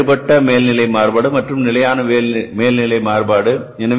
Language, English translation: Tamil, And then the second will be the variable overhead variance and the fixed overhead variance